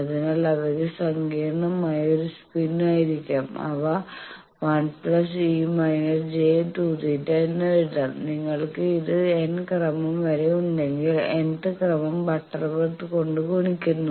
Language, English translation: Malayalam, So, they can be in a complex spin, they can be written as 1 plus c to the power minus and if you have in nth order then it is multiplied by nth butterworth